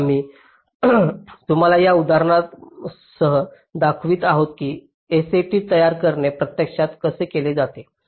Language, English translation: Marathi, so we are just showing you with this example that how the sat formulation is actually done